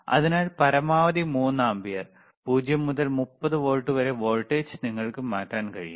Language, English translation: Malayalam, So, maximum is 3 ampere and voltage from 0 to 30 volts you can change it